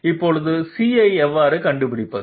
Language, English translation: Tamil, Now, how to find out C